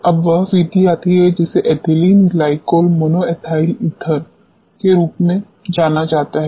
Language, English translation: Hindi, Now, comes the method which is known as Ethylene Glycol Monoethyl Ether EGME